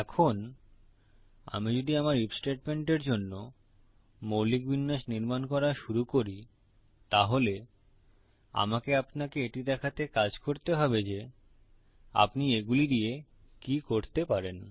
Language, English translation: Bengali, Now if I start creating my basic layout for my if statement i will get to work on showing you what you can do with these